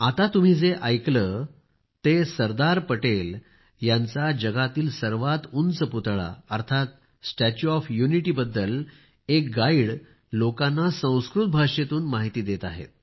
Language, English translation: Marathi, Actually, what you were listening to now is a guide at the Statue of Unity, informing people in Sanskrit about the tallest statue of Sardar Patel in the world